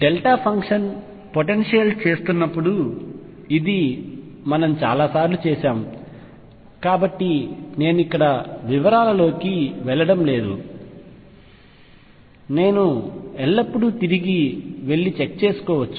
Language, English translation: Telugu, This we have done many times while doing the delta function potential, so I am not doing it in the details here I can always go back and check